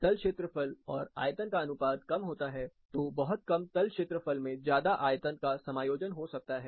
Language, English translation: Hindi, The surface area to volume ratio is considerably lower, very less surface area, and more volume is accommodated